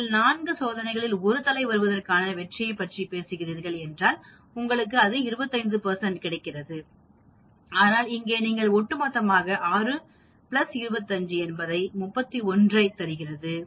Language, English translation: Tamil, 25 and then if you are talking about 1 success out of 1 head out of 4 trials, you get a 25 percent but here you gives you the cumulative, 6 plus 25 is giving 31